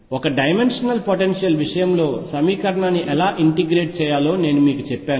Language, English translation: Telugu, I have told you how to integrate the equation in the case of one dimensional potential